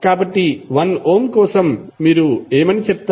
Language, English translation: Telugu, So for 1 Ohm, what you will say